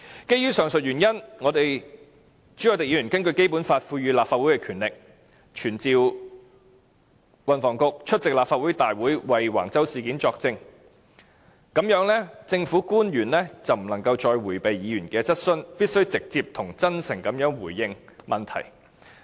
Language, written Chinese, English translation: Cantonese, 基於上述原因，朱凱廸議員根據《基本法》賦予立法會的權力，傳召運輸及房屋局局長出席立法會會議為橫洲事件作證，這樣政府官員便不能再迴避議員的質詢，必須直接及真誠地回應問題。, Owing to the above mentioned reasons Mr CHU Hoi - dick exercises the powers given to the Legislative Council under the Basic Law to summon the Secretary for Transport and Housing to the Council to testify on the Wang Chau incident so that government officials can no longer evade Members queries and must answer questions in a direct and honest manner